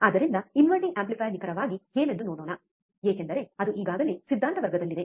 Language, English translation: Kannada, So, let us quickly see what exactly the inverting amplifier is, since it was already covered in the theory class